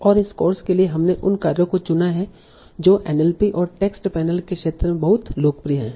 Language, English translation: Hindi, And for this course we have chosen the tasks that are very, very popular in the field of NLP and text mining